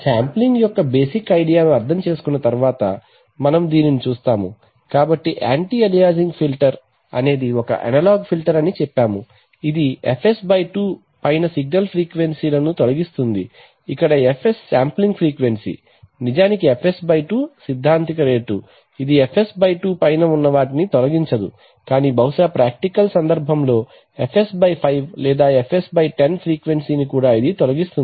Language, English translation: Telugu, Having understood the basic idea of sampling, we show the, so we say that an anti aliasing filter is an analog filter that removes signal frequencies above fs/2 where fs is the sample frequency, actually the fs/2 is actually a theoretical rate, it will not remove above fs/2 but would perhaps in a practical case remove frequency of fs/5 or even fs/10